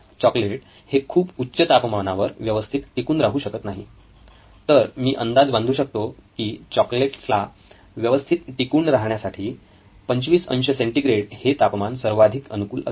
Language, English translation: Marathi, The chocolates are not very good at high temperatures, so I would guess about 25 degree centigrade ought to do right for these chocolates